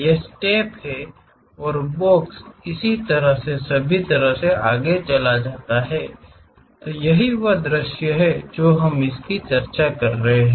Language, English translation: Hindi, These are the steps and the box goes all the way in this way, that is the front view what we are discussing